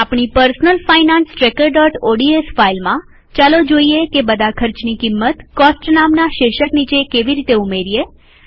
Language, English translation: Gujarati, In our personal finance tracker.ods file, let us see how to add the cost of all the expenses mentioned under the heading, Cost